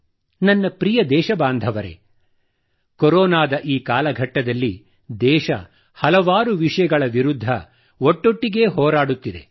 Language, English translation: Kannada, My dear countrymen, during this time period of Corona, the country is fighting on many fronts simultaneously